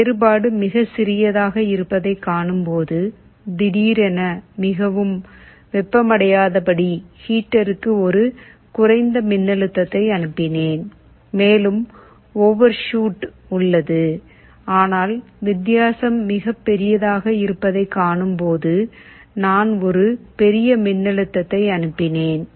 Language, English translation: Tamil, If I see my difference is very small I sent a lower voltage to the heater so that the heater does not suddenly become very hot and there is an overshoot, but if the difference is very large I sent a large voltage